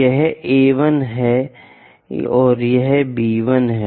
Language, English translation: Hindi, This is A 1; A 1 and B 1 is this